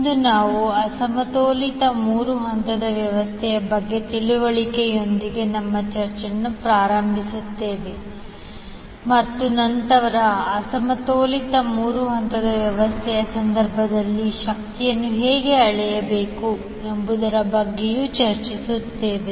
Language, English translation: Kannada, Today we will start our discussion with the understanding about the unbalanced three phase system and then we will also discuss how to measure the power in case of unbalanced three phase system